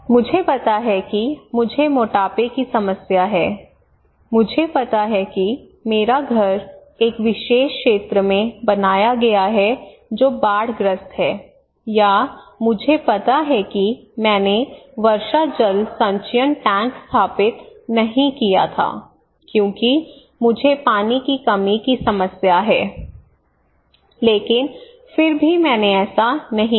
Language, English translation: Hindi, So I know I am fat, I have obesity problem, I know my house is built in a particular area that is flood prone or I know that I did not install the rainwater harvesting tank because I have water scarcity problem, but still I did not do it